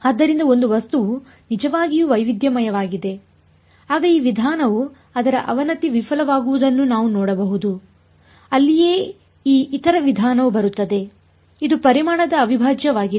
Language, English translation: Kannada, So, for an object is truly heterogeneous then this approach we can see its doomed to fail that is where this other approach comes which is volume integral